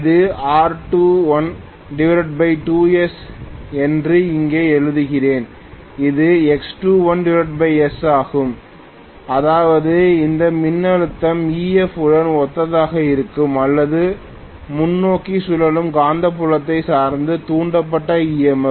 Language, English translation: Tamil, Let me write here this is R2 dash by 2 S, this is X2 dash by 2 which means this voltage is going to be corresponding to EF or forward revolving magnetic field dependent induced EMF